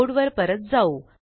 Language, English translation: Marathi, Coming back to the code